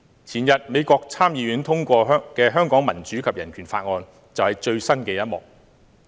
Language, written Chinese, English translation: Cantonese, 前天，美國參議院通過的《香港民主及人權法案》就是最新的一幕。, The day before yesterday the development turned to a new page when the United States passed the Hong Kong Human Rights and Democracy Act of 2019